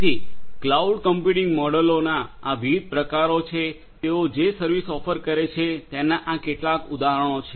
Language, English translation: Gujarati, So, these are some of these examples of different; different types of cloud computing models and the services that they offer